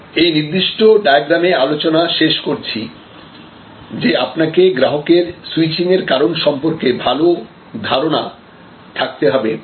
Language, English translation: Bengali, So, ultimately all end with particular diagram that you have to have good understanding that what makes customer switch